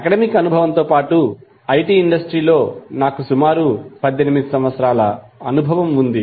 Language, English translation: Telugu, In addition to the academic experience which I have got in IITs, I also have experience in IT industry for around 18 years